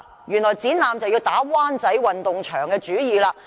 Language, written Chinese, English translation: Cantonese, 原來在展覽方面就要打灣仔運動場的主意。, In respect of exhibitions they are targeting at the Wan Chai Sports Ground